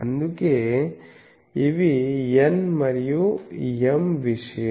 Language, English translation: Telugu, So, that is why n and m are thing